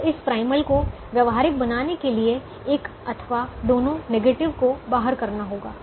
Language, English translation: Hindi, so to make this primal feasible, one of the negatives or both the negatives have to go out